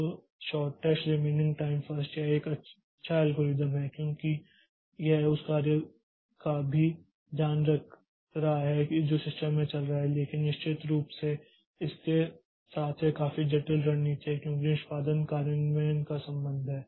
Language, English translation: Hindi, So, the shortest remaining time first so this is a good algorithm because it is also taking care of the job which is running in the system but of course with the catch that the it is quite complex strategy as far as execution implementation is concerned